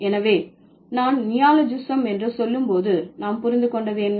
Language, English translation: Tamil, So, that's what we understand when I say neologism